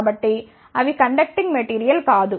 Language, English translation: Telugu, So, they are not a conducting material